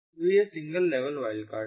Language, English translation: Hindi, so this is single level wildcard